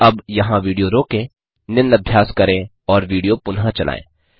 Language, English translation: Hindi, So now, Pause the video here, try out the following exercise and resume the video